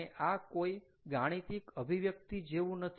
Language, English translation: Gujarati, ah, its not like a mathematical expression